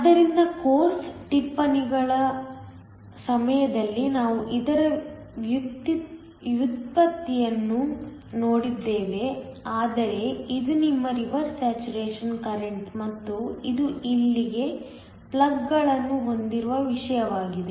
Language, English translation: Kannada, So, we saw the derivation for this during the course notes, but this is your reverse saturation current and this is something with plugs in here